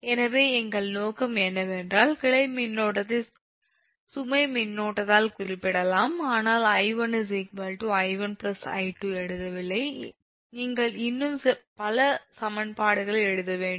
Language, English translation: Tamil, so what we our objective is the branch current can be represented by the load current, but i am not writing: i one is equal to i two plus a capital, i two plus small i two